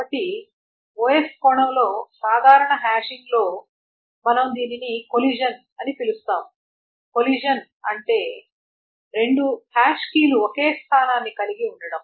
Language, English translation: Telugu, So, in normal hashing, in the OS sense, what we term as collision, what does a collision mean is that when two hash keys have the same location